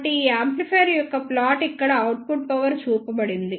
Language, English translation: Telugu, So, here is the plot of this amplifier the output power is shown here